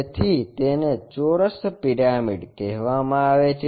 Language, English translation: Gujarati, So, it is called square pyramid